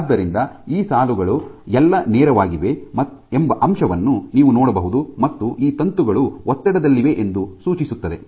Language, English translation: Kannada, So, you can see the fact that these lines are all straight suggest that these filaments are under tension ok